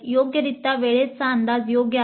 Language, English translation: Marathi, The time estimate is proper